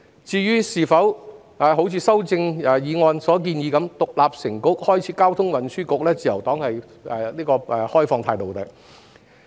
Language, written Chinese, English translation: Cantonese, 至於是否如修正案所建議般把一個範疇獨立成局，開設交通運輸局，自由黨則持開放態度。, As to whether a Traffic and Transport Bureau should be created as a separate bureau for one policy area as proposed in the amendment the Liberal Party remains open - minded